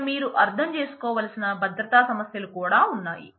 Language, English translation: Telugu, There are security issues also that you will need to understand here